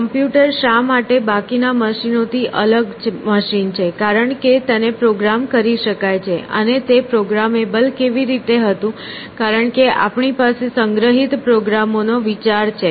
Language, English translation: Gujarati, So, why the computer are different machine from the rest of the machines, because it is programmable; and how was it programmable, because we have this idea of a stored program